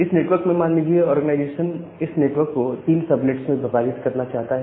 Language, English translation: Hindi, Now, in this network, say the organization want to divide this network into three subnet